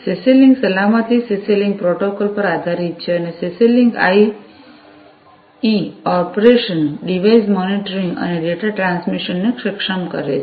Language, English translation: Gujarati, CC link safety is based on the CC link protocol and CC link IE enables operation, device monitoring and data transmission